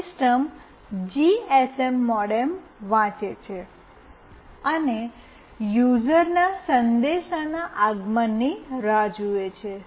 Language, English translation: Gujarati, The system reads the GSM modem and waits for arrival of a message from the user